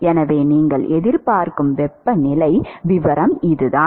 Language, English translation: Tamil, So, that is the temperature profile that you would expect